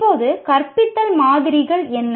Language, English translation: Tamil, Now, what are models of teaching